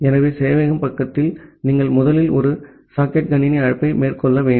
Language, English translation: Tamil, So, in the server side, you have to first make a socket system call